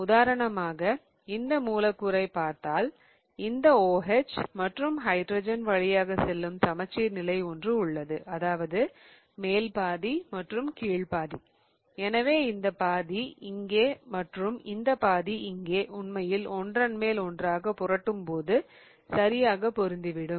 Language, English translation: Tamil, If you see this molecule for example, I have a plane of symmetry right here going through that OH and hydrogen whereas the top half and the bottom half so for example this half here and this half here can really flip on to each other and really get folded